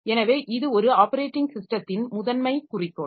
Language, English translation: Tamil, So, this is the primary goal of an operating system